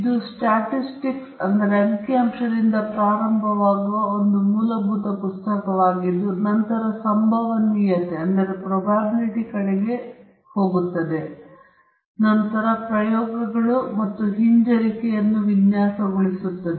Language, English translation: Kannada, This is a basic book which starts from Statistics, and then goes on to Probability, and also later on into Design of Experiments and Regression